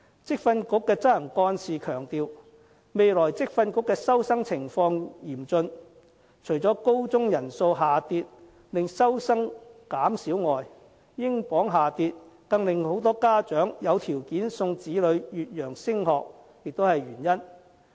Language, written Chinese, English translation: Cantonese, 職訓局的執行幹事強調，未來職訓局的收生情況嚴峻，除了高中人數下跌令收生減少外，英鎊下跌令更多家長有條件送子女越洋升學也是原因。, The Executive Director of VTC stresses the critical situation of student intake in the future . One of the reasons is that the number of senior secondary students has dropped and another is the depreciation of the British pounds which has made sending children abroad to study affordable to more parents